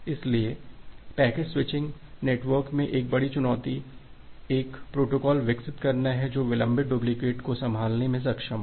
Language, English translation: Hindi, So, a major challenge in a packet switching network is develop a protocol which will be able to handle the delayed duplicates